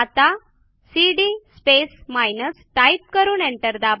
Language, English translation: Marathi, So if we run cd space minus and press enter